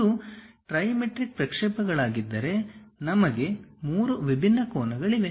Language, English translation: Kannada, If it is trimetric projections, we have three different angles